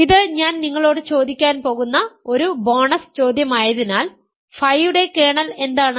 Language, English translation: Malayalam, As this is a bonus question I am going to ask you, what is kernel of phi